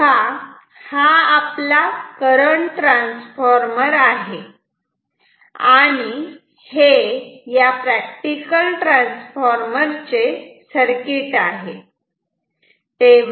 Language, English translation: Marathi, So, now, this is our CT this is the equivalent circuit of a transformer practical transformer